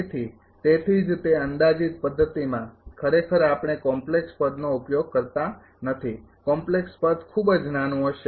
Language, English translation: Gujarati, So, that is why that approximate method actually we do not use that complex term complex term will be very small